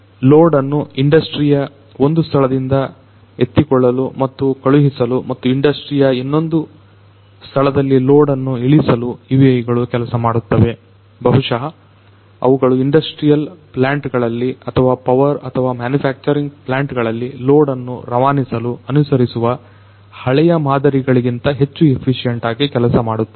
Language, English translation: Kannada, UAVs could lift the load from one point in the industry and could send and could you know release the load to another point in the industry, and maybe it can do that in a much more efficient manner than the conventional means of transporting load in an industrial plant or a power or a manufacturing plant